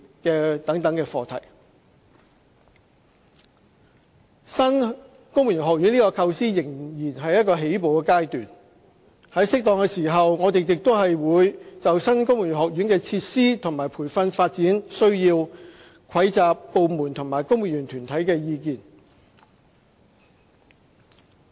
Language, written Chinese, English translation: Cantonese, 新的公務員學院這個構思仍在起步階段，在適當的時候，我們亦會就新公務員學院的設施和培訓發展需要蒐集部門和公務員團體的意見。, The concept of establishing a new civil service college is still in infancy . We will collect comments and suggestions from departments and civil service associations on the facilities training and development needs of the new civil service college at the right time